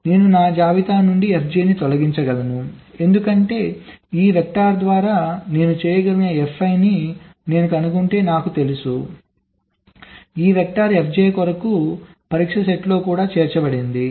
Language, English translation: Telugu, so i can remove f j from my list because i know if i detect f i, which i can do by this vector, this vector is also included in the test set for f j